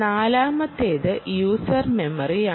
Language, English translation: Malayalam, yeah, fourth one is the user memory